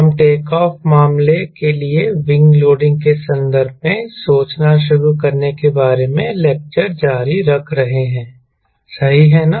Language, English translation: Hindi, we are continuing lecture on how to start thinking in terms of wing loading for takeoff case right wing loading for takeoff at conceptual stage